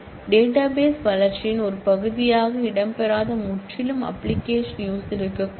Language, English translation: Tamil, There could be absolutely application users who may necessarily do not feature as a part of the database development